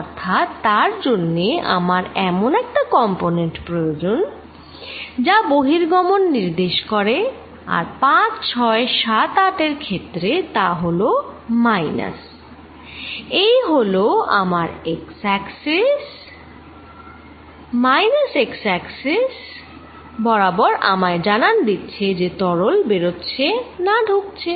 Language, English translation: Bengali, So, for that I need the component which indicates a flow out and that is for 5, 6, 7, 8 the component in minus this is my x axis, in minus x direction is going to tell me whether fluid is leaving or coming in